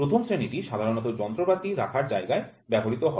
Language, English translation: Bengali, Grade 1 is generally used in the tool room